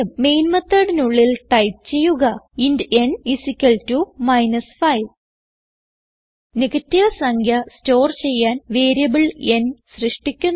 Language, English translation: Malayalam, So inside the main method type int n = minus 5 We have created a variable n to store the negative number